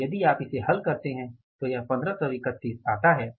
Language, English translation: Hindi, So, if you solve this this works out as 1531